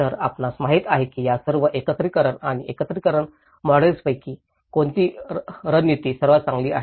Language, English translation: Marathi, So, you know, out of all these segregation and integration models which strategy is the best